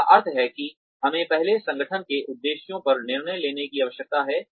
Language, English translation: Hindi, Which means that, we first need to decide, on the objectives of the organization